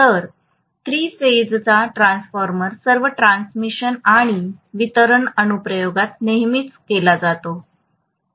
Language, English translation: Marathi, Whereas three phase is always used in all transmission and distribution application, right